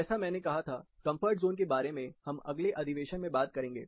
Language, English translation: Hindi, As I said, we will talk about comfort zone more elaborately in another session